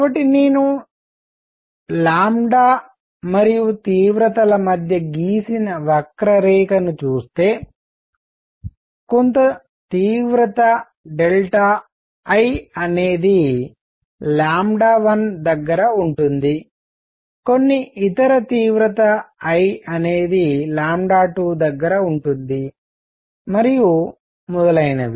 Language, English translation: Telugu, So, if I look at lambda verses intensity curve, there would be some intensity delta I near say lambda 1; some other intensity I near lambda 2 and so on